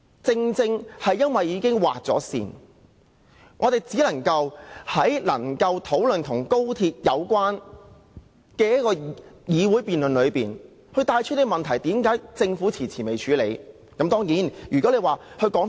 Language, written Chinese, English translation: Cantonese, 正因為辯論已經設了時限，我們只能在討論與高鐵相關的議題時，順帶指出政府遲遲未有處理的問題。, Given the time limit set for the debate we can only mention in passing during the discussion on XRL - related issues that the Government has for a protracted period of time failed to deal with the problems